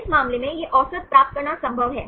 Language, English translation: Hindi, In this case it is this possible to get the average